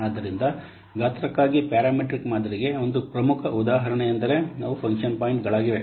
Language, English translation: Kannada, So one of the important example for parameter model for size is function points